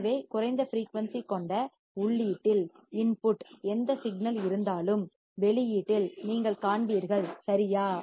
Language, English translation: Tamil, So, whatever signal is there in the input with lower frequency,you will see at the output right